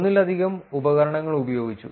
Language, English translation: Malayalam, Multiple tools were used